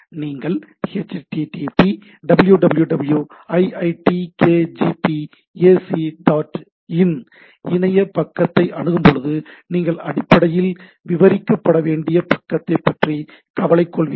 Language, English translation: Tamil, When I access a through a when you do “http www iitkgp ac dot in”, so you are basically bothered about the page to be described right